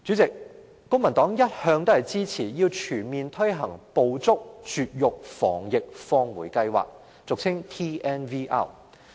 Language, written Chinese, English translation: Cantonese, 公民黨一向支持全面推行"捕捉、絕育、防疫、放回"計劃。, The Civic Party has always supported the full implementation of the scheme of Trap - Neuter - Vaccinate - Return